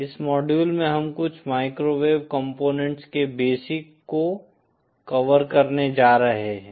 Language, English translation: Hindi, In this module we are going to cover just the basic introduction of certain microwave components